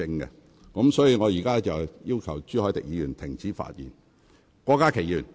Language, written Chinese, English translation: Cantonese, 因此，我現在請朱凱廸議員停止發言。, Therefore I now ask Mr CHU Hoi - dick to discontinue his speech